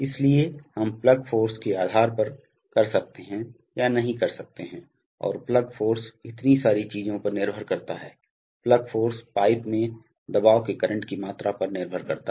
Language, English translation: Hindi, So we, depending on the plug force, we may or may not be able to and the plug force depends on so many things, the plug force depends on the current value of pressure in the pipe